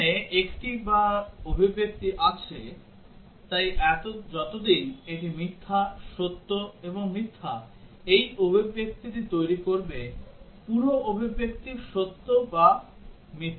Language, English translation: Bengali, There is a or expression here, so as long as this is false, true and false will make this expression entire expression true or false